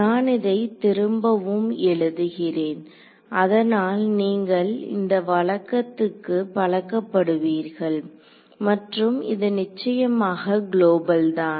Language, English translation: Tamil, So, I am writing this again so that you get used to this convention that we have and this of course, is global ok